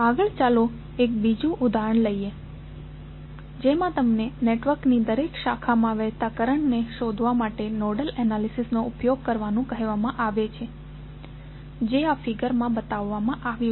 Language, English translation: Gujarati, Next let us take another example, if you are asked to use nodal analysis to determine the current flowing in each branch of the network which is shown in this figure